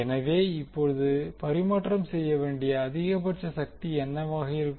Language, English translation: Tamil, So, now what would be the maximum power to be transferred